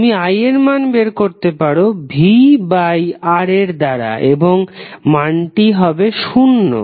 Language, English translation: Bengali, The value of V that is I R will be equal to zero